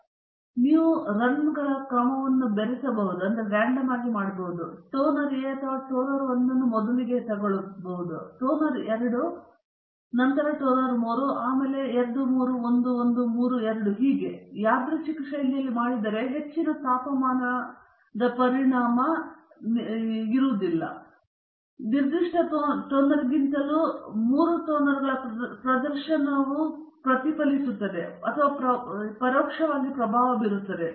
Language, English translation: Kannada, So, what you can do is you can mix up the order of the runs, you can put toner A or toner 1 first, then followed by toner 2, then by toner 3, and then 2, 3, 1, 1, 3, 2 like that, if you do it in randomized fashion, then the higher temperature effect is also reflected or indirectly influencing the performances of all the three toners than a specific toner